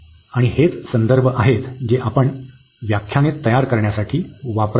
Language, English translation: Marathi, And these are the references we have used for preparing the lectures